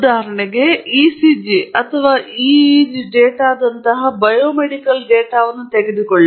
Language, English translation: Kannada, So, if you take, for example, biomedical data, such as ECG or EEG data